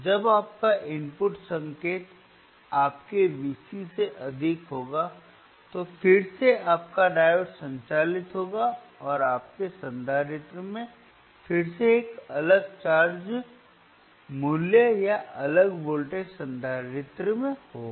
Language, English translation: Hindi, Wwhen your are input signal is greater than your V cVc, thaen again your diode will conduct and your capacitor will again have a different charge value, different charge value, or different voltage across the capacitor